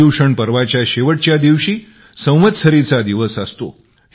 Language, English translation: Marathi, The last day of ParyushanParva is observed as Samvatsari